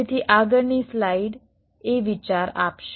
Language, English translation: Gujarati, so the next slide will give an idea